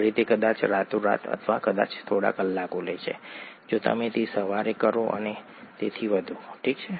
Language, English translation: Gujarati, At home it takes probably overnight or maybe a few hours if you do it in the morning and so on, okay